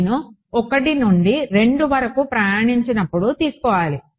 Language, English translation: Telugu, When I travel from 1 to 2